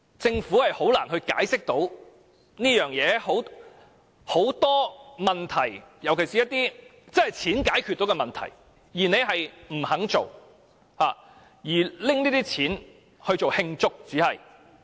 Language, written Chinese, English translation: Cantonese, 政府實在難以解釋，因為有很多問題，尤其是一些可用金錢解決的問題，政府不肯為之，但卻撥款慶祝回歸。, The Government can hardly justify its actions because it refuses to tackle so many problems especially problems that can be resolved by using money but instead allocates money for celebrating the establishment of HKSAR